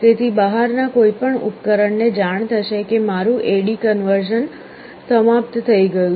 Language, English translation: Gujarati, So, any device outside will know that my A/D conversion is over